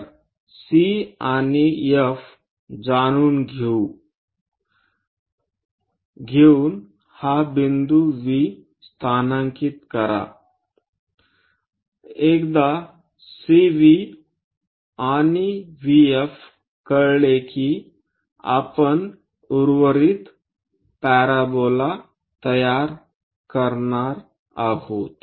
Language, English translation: Marathi, So, locate this point V by knowing C and F, once this CV VF is known we are going to construct the rest of the parabola ok